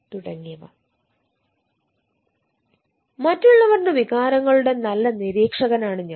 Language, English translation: Malayalam, i am a good observer of others emotions